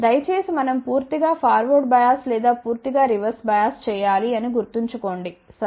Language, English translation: Telugu, Please remember that we have to completely forward bias or completely reverse bias ok